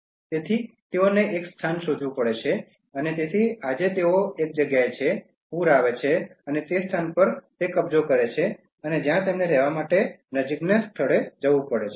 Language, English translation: Gujarati, So, they have to find a place, so today they are in one place, flood comes and occupies that place they have to move to the nearby place where they can live